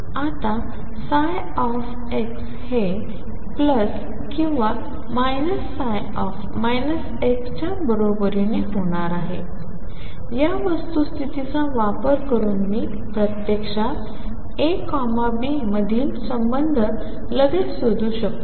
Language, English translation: Marathi, Now using the fact that psi x is going to be equal to plus or minus psi minus x I can actually find the relationship between a B immediately